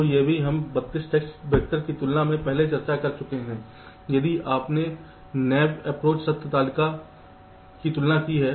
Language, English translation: Hindi, ok, so this also very discussed earlier, as compared to thirty two test vectors, if you have done naīve truth table comparison